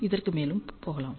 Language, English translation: Tamil, Let us move further